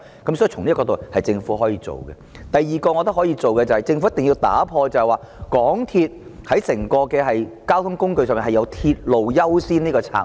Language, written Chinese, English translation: Cantonese, 我認為政府可以做的第二件事是，政府必須打破在整個交通運輸系統中，以鐵路為優先的策略。, I think the second thing that the Government can do is forgoing the strategy of according priority to railway in the public transport system